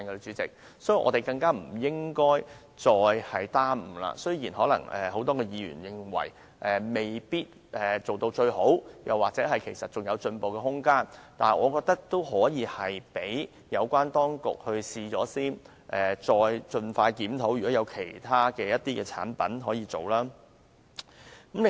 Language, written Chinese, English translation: Cantonese, 所以，我們更不應再耽誤，雖然可能很多議員認為計劃未做到最好或還有進步空間，但我覺得可以讓有關當局試行，再盡快檢討是否有其他產品可以涵蓋在內。, Hence we should not delay any longer . Although many Members may think that MEELS is not perfect and there is much room for improvement I think we can let it take effect first on a trial basis and then conduct a review as soon as possible to see if other products can be covered